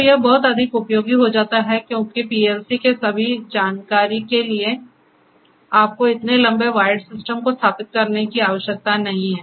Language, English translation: Hindi, So, that becomes much more handy because you need not to basically control the you know need not to install such a long wired system to bring all the information to the PLC